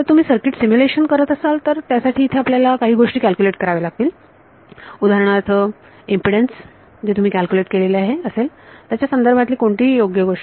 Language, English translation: Marathi, If you are doing a circuit simulation here is why you would calculate things like impedance of whatever right based on what you have calculated